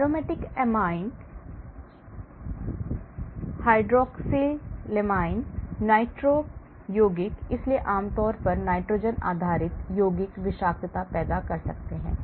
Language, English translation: Hindi, aromatic amines, hydroxylamines, nitro compound, so generally nitrogen based compounds can lead to toxicity